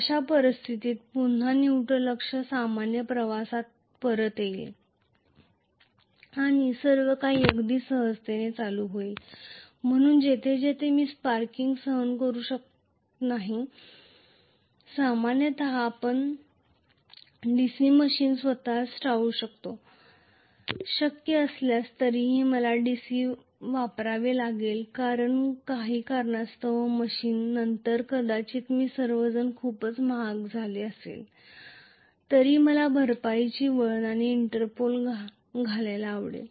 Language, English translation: Marathi, In which case again the neutral axis will be back to normal the commutation and everything will go on very smoothly, so wherever I cannot tolerate sparking, generally we tend to avoid DC machine itself, if it is possible, still if I have to use DC machine for some reason, then I might like to put compensating winding and Interpole although all of them became generally much costlier